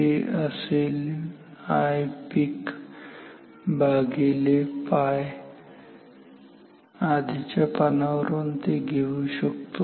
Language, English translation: Marathi, This will be I peak divided by pi just recall from the previous slide